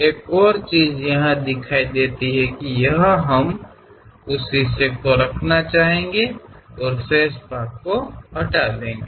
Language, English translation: Hindi, Another representation is here we would like to keep that part and remove the remaining part